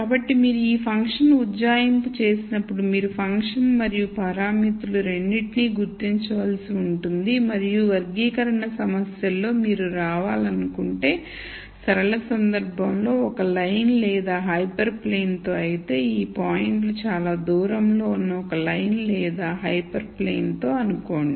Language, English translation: Telugu, So, when you do this function approximation you will have to gure out both the function and the parameters and in classification problems you want to come up let us say in the linear case with a line or a hyper plane where these points are as far away from this as possible